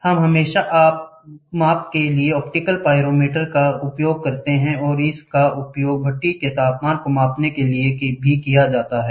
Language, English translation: Hindi, We always used optical pyrometer for measurement and it is used to measure furnace temperatures